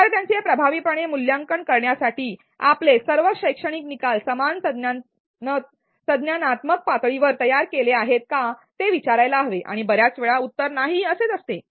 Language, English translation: Marathi, To assess learners effectively, we need to ask if all our learning outcomes are designed at the same cognitive level and most of the times the answer is no